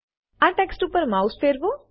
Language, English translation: Gujarati, Hover the mouse over this text